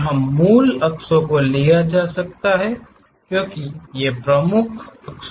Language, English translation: Hindi, Here the principal axis, can be taken as these edges are the principal axis